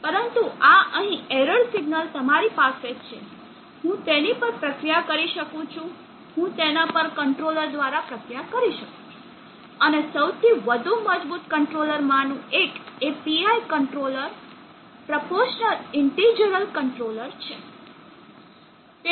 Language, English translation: Gujarati, But this error signal what you have here I can process that, I will process it through a controller, and one of the most robust controllers is the PI controller proportional integral controller